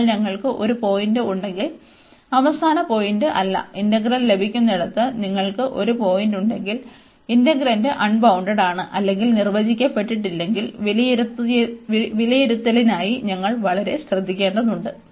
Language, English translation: Malayalam, So, if we have a point not the end point, if you have a point in the middle where the integral is getting is integrand is unbounded or it is not defined, we have to be very careful for the evaluation